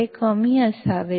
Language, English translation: Marathi, It should be low